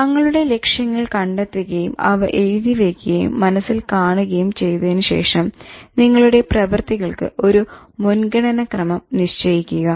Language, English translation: Malayalam, Having identified your goals and then writing it and then visualizing, you should prioritize your activities